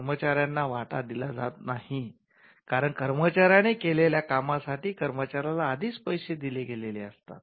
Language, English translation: Marathi, The employee is not given a share, because the employee was already paid for the work that the employee had done